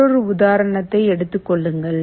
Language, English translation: Tamil, Take another example